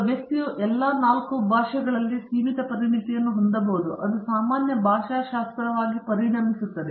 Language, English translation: Kannada, One person can have limited expertise in all 4 of them, that becomes general linguistic